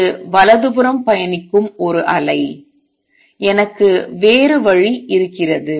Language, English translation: Tamil, This is a wave travelling to the right, I also have another way